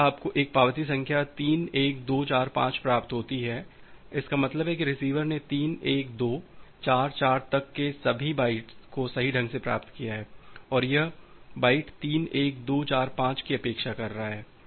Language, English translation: Hindi, If you receive an acknowledgement number 3 1 2 4 5; that means, that the receiver has correctly received all the bytes up to 3, 1, 2, 4, 4 and it is expecting the byte 3, 1, 2, 4, 5